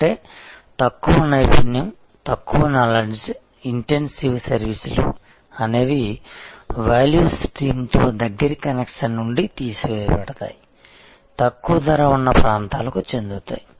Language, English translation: Telugu, That means, the lower expertise, lower knowledge intense services to the extent they could be taken out of the closer connection with the value stream migrated to lower cost areas